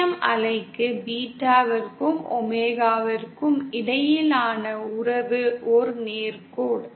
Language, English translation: Tamil, Then for TEM wave, the relationship between beta and omega is a straight line